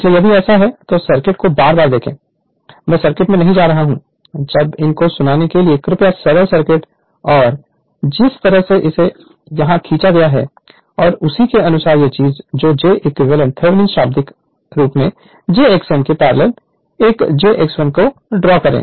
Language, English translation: Hindi, So, if you if you do so, look at the circuit again and again I am not going to the circuit; when you listen to these you please draw the simple circuit and the way it has been drawn here and accordingly what you do that your this thing that find out j Thevenin literally r one plus j x 1 parallel to j x m